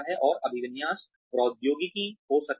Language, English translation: Hindi, And, there could be orientation technology